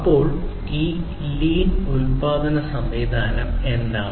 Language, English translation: Malayalam, So, what is this lean production system